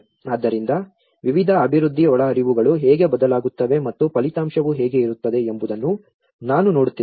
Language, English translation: Kannada, So, I am looking at how different development inputs also vary and how the outcome will be